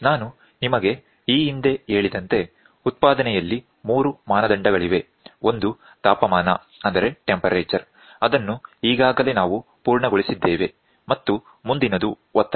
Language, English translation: Kannada, So, as I told you earlier in manufacturing 3 parameters, one is temperature which we have covered next pressure